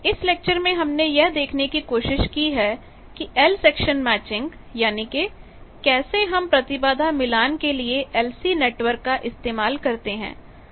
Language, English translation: Hindi, So, in this lecture we have tried to see the l section matching that means, by l c network how to do the impedance matching